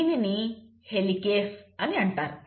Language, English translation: Telugu, And this enzyme is called as Helicase